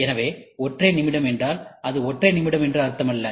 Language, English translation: Tamil, So, single minute means, it is not literally meaning single minute